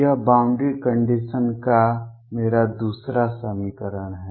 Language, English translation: Hindi, That is my other equation of the boundary condition